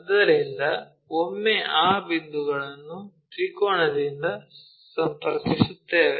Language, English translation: Kannada, So, once we have that point connect this by triangle